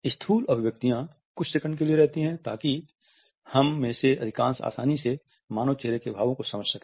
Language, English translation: Hindi, Macro expressions last for certain seconds, so that most of us can easily make out the expression on the human face